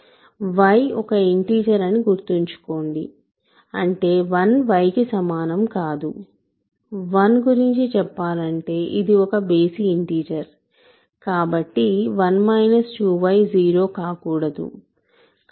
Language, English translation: Telugu, Remember, y is an integer; that means, 1 cannot equal to y, 1 is an odd integer in other words so, 1 minus 2 y cannot be 0